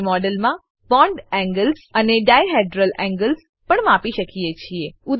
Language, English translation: Gujarati, We can also measure bond angles and dihedral angles in a model